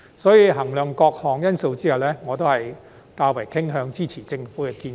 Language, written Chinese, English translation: Cantonese, 因此，在衡量各項因素後，我傾向支持政府的建議。, Therefore having considered all the factors I am inclined to support the Governments proposal